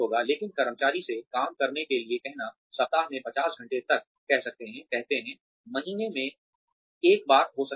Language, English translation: Hindi, But, asking the employee to work, say, maybe up to 50 hours a week, say, may be once a month